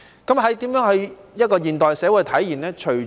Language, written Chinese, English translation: Cantonese, 怎樣在現代社會體現這句說話呢？, How is this saying reflected in modern society?